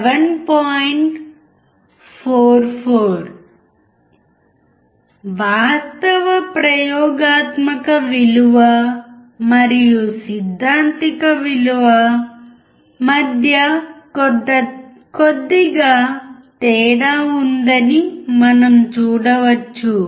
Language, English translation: Telugu, 44 We can see there is a little bit difference between the actual experimental value and the theoretical value